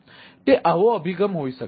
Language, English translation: Gujarati, so this may be one one such approaches